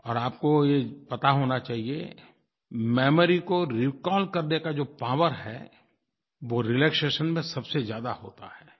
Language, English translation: Hindi, And you must know that the power of memory to recall is greatest when we are relaxed